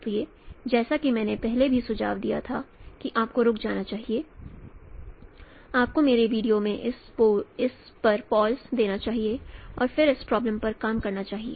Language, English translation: Hindi, So as I suggested previously also you should stop, you should give a pause at that in my video and then again you should work out on this problem